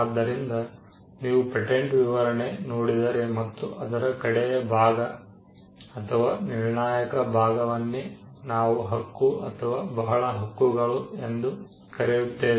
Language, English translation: Kannada, So, you could look at a patent specification, and the last portion or the concluding portion of a patent specification is what we call a claim or many claims